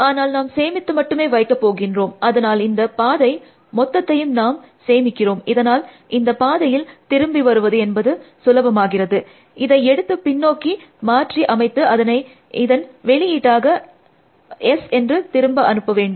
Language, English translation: Tamil, But, we will only stores, so here we are storing the entire path, up to the start node from that, which of course, makes the task of returning the path must simpler, I have to just take this and reverse it and return it as output S